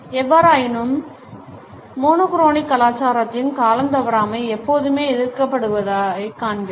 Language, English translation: Tamil, However we find that in monochronic culture’s lack of punctuality is always frowned upon